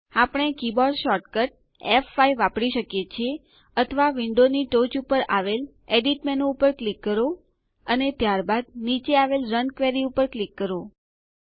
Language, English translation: Gujarati, We can use the keyboard shortcut F5, or click on the Edit menu at the top of the window, and then click on Run Query at the bottom